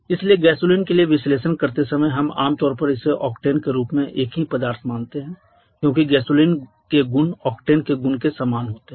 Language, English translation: Hindi, So, gasoline while doing the analysis for gasoline we commonly assume it to be a single substance in the form of octane because the property of gasoline is quite similar to the property of octane